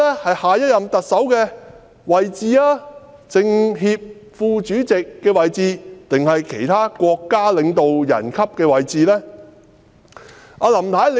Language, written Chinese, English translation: Cantonese, 是下一任特首的位置、是政協副主席的位置，還是其他國家領導人級的位置呢？, Is it the position of the next Chief Executive or the Vice - President of the National Committee of the Chinese Peoples Political Consultative Conference CPPCC or other position of State leadership ranking?